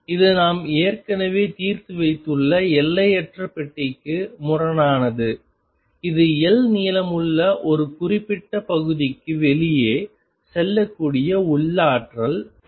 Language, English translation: Tamil, This is in contrast to the infinite box that we have already solved which was that the potential was going to infinity outside a certain area which is of length L